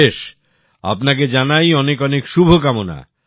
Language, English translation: Bengali, I wish you the very best